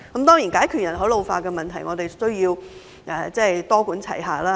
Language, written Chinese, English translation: Cantonese, 當然，要解決人口老化問題，我們需要多管齊下。, Of course a multi - pronged approach is needed to tackle the problem of ageing population